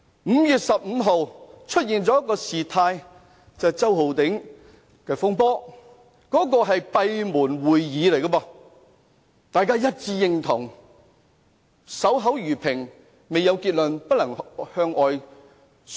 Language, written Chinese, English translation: Cantonese, 5月15日發生了周浩鼎議員的風波，那次是閉門會議，大家一致贊同要守口如瓶，未有結論不能向外宣揚。, The incident concerning Mr Holden CHOW was disclosed on 15 May during a closed - door meeting . Everyone agreed to be tight - mouthed about the issues discussed and would not disclose information to the public before a conclusion was made